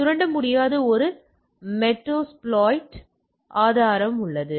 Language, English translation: Tamil, So, there is a metasploit source cannot exploit